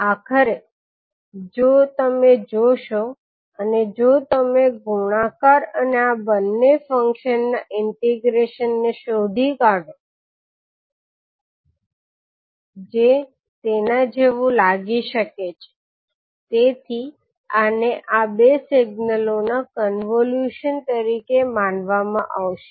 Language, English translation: Gujarati, So finally if you see and if you trace the product and the integration of these two functions, so it may look like this, so this would be considered as a convolution of these two signals